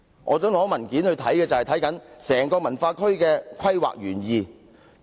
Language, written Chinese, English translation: Cantonese, 我支持索取的文件，正正關乎整個文化區的規劃原意。, I support the request for documents because they are relevant to the planning intention of WKCD as a whole